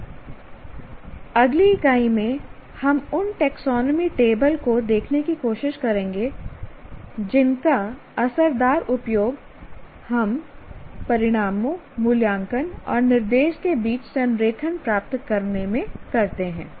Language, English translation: Hindi, And in the next unit, we now try to look at what is called the taxonomy tables that we use in achieving alignment among outcomes, assessment and instruction